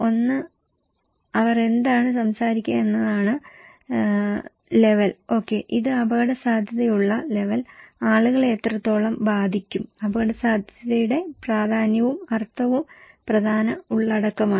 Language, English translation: Malayalam, One is, what is they will talk is the level okay, it’s level of risk, what extent people will be affected and the significance and the meaning of risk is important content